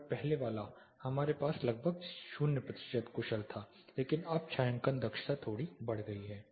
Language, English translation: Hindi, And the earlier one, we had almost 0 percent efficient, but now the shading efficiency is slightly increased